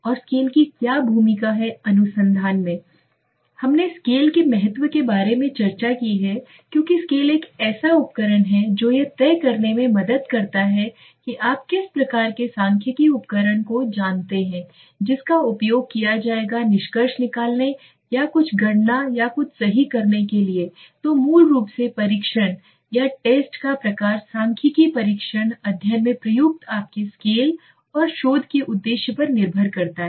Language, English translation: Hindi, Then what is the role of scale in the research, we have discussed about the importance of scale because scale is one such thing that helps in deciding what is the type of you know statistical tool that one would use to derive at the inference or to do some calculation or something right so the type of test basically used statistical test depends on your scale used in the study and the objective of the research right